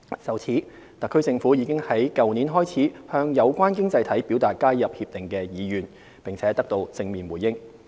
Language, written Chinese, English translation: Cantonese, 就此，特區政府已於去年開始向有關經濟體表達加入《協定》的意願，並得到正面回應。, To this end the Government has in last year expressed to the member economies our wish to join RCEP and we received positive feedbacks